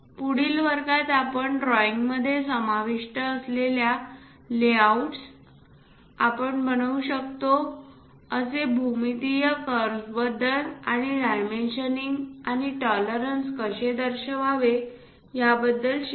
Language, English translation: Marathi, In the next class, we will learn about layouts involved for drawing, what are the geometrical curves we can construct, how to represent dimensioning and tolerances